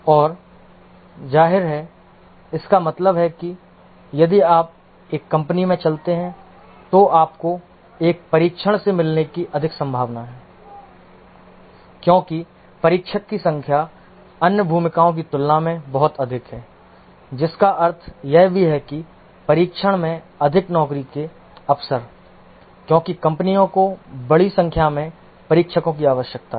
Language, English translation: Hindi, And of course that means that if you walk into a company, you are more likely to meet a tester because number of testers are much more than other roles, which also implies that more job opportunities in testing because the companies need large number of testers